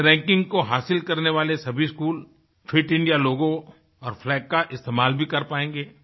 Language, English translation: Hindi, The schools that achieve this ranking will also be able to use the 'Fit India' logo and flag